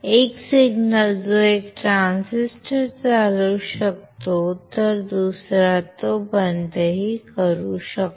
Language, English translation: Marathi, The same signal which turns on 1 transistor will turn off the another one